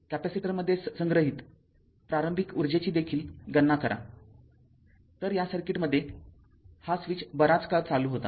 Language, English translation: Marathi, Also you calculate the initial energy stored in the capacitor , so in this circuit in this circuit that switch this switch was closed for long time